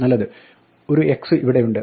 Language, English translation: Malayalam, Well there is an x here